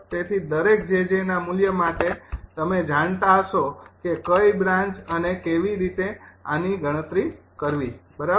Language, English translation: Gujarati, so for each value of jj you will be knowing which branch and how to compute this one right